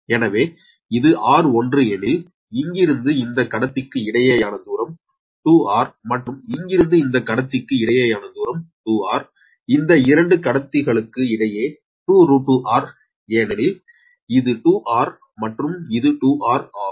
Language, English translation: Tamil, then distance from here to here, this conductor is also two r, and distance from here to here, these two conductors, it will be two root, two r, because this is two r, this is two r